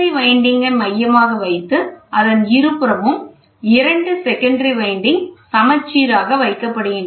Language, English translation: Tamil, Primary winding which is centrally placed two secondary windings are symmetrically placed